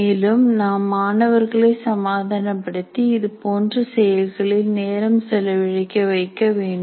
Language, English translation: Tamil, And we should be able to or convince the students that they should spend time on this